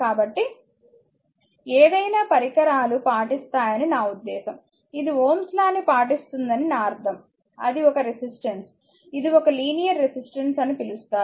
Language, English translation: Telugu, So, I mean any devices obeys, I mean a it obeys your Ohm’s law, that is a resistor that that is a call a linear resistor